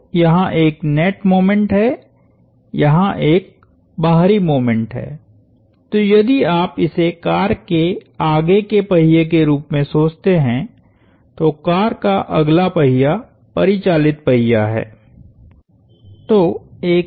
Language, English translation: Hindi, So, there is a net moment, there is an external moment, so if you think of this as the front wheel of a car, the front wheel of the car is the driven wheel